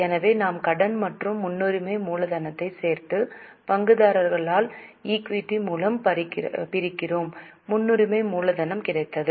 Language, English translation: Tamil, So, we add debt plus preference capital and divide it by shareholders equity minus the preference capital